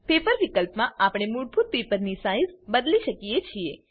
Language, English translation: Gujarati, In the Paper field, we can set the default paper size